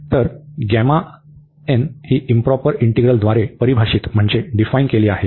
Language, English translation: Marathi, So, gamma n is defined by this improper integral